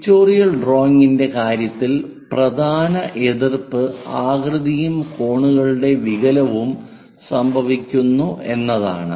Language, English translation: Malayalam, In the case of pictorial drawing, the main objection is shape and angle distortion happens